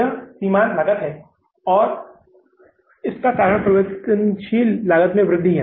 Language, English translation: Hindi, This is the marginal cost and this is because of the increase in the variable cost